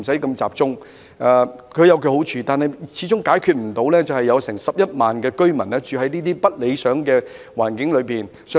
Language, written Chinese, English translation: Cantonese, 但是，這樣的安排，始終解決不到現時超過11萬名市民居於不理想的環境中的問題。, However such arrangements can never solve the problem of more than 110 000 people who are currently living in an undesirable condition